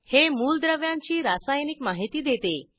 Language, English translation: Marathi, It provides scientific information about elements